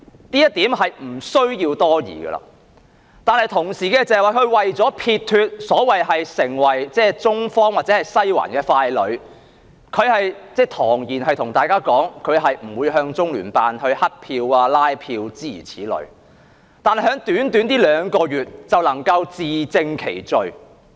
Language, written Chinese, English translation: Cantonese, 這一點是毋庸置疑的了，但同時，她為了撇脫地成為所謂"中方或西環的傀儡"，堂而皇之地向大家說，她是不會向中聯辦"乞票"、拉票的，諸如此類，可是在短短兩個月內，她便自證其罪。, This is indisputable but at the same time in order to come clean of the so - called puppet of the China side or Western District through and through she declared publicly that she would not turn to the Liaison Office to beg or canvass for votes so on so forth but within the short span of two months she has proven her own guilt